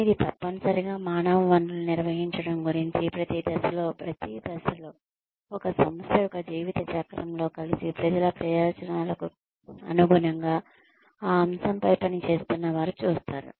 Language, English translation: Telugu, But, it is essentially about managing human resources in such a way that, every aspect, of every stage, in an organization's life cycle is, seen in conjunction, in line with the interests of the people, who are working on that aspect